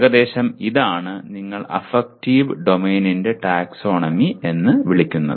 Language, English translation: Malayalam, Roughly this is the, what do you call the taxonomy of affective domain